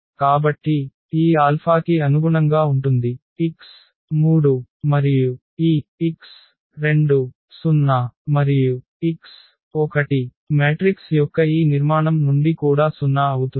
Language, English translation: Telugu, So, therefore, this alpha is corresponding to x 3 and this x 2 will be 0 and x 1 will be also 0 from this structure of the matrix